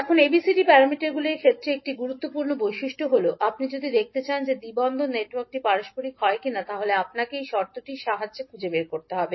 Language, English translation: Bengali, Now, one of the important properties in case of ABCD parameters is that if you want to see whether the particular two port network is reciprocal or not, you need to find out with the help of this condition